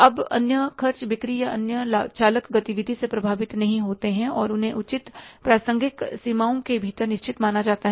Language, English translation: Hindi, Now, other expenses are not influenced by the sales or other, say, costs, driver activity and are regarded as a fixed within appropriate relevant of ranges